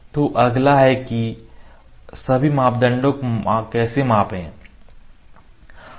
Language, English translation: Hindi, So, next is How to measure all the parameters